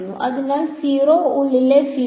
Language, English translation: Malayalam, So, the at the field inside a 0